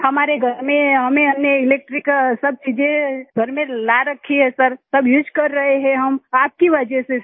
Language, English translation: Hindi, In our house we have brought all electric appliances in the house sir, we are using everything because of you sir